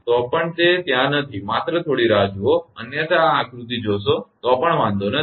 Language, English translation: Gujarati, Even it is not there does not matter just hold on otherwise see this figure also, but does not matter right